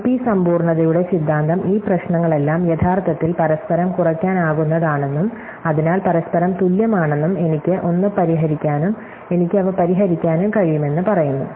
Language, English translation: Malayalam, The theory of NP completeness tells us that all of these problems are actually inter reduce able, and therefore equivalent to each other, I can solve one, I can solve them on